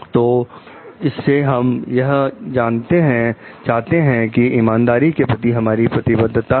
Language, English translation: Hindi, So, this very we find like we have a commitment to fairness